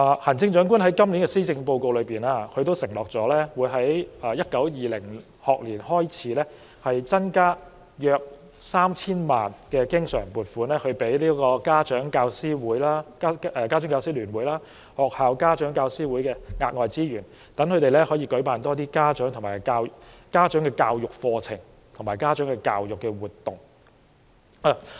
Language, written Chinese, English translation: Cantonese, 行政長官在今年的施政報告中，承諾會在 2019-2020 學年開始增加大約 3,000 萬元經常性撥款，這些額外資源會撥給家長教師會聯會和學校家長教師會，讓他們可以舉辦更多家長的教育課程和活動。, The Chief Executive pledges in this Policy Address an additional recurrent expenditure of about 30 million from the 2019 - 2020 school year onwards . The additional resources are allocated to the Federations of Parent - Teacher Associations and the Parent - Teacher Associations PTAs of schools for organizing more parent education programmes or activities